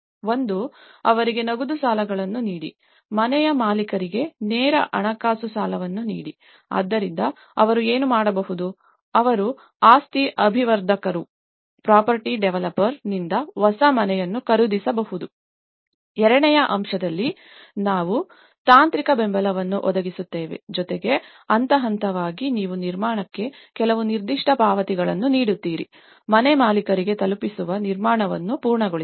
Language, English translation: Kannada, One is give them the cash credits, direct financial credits to the homeowner, so what they can do is; they can purchase a new house from the property developer wherein the second aspect, we have the provide technical support plus stage by stage you give some certain payments on construction; to completion of the construction that is delivered to the homeowner